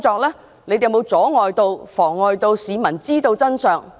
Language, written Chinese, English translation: Cantonese, 警方有沒有阻礙市民知道真相？, Have the Police obstructed the public in finding out the truth?